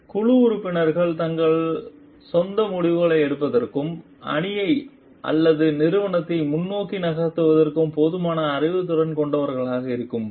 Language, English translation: Tamil, Where the team members are empowered enough knowledgeable enough to take their own decisions and move the team or the organization forward